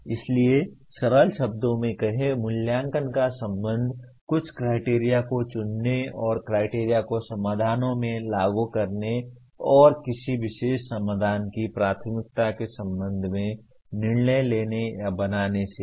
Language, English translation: Hindi, So put in simple words, evaluate is concerned with selecting certain criteria and applying these criteria to the solutions and coming to or judging or making a decision with regard to the preference of a particular solution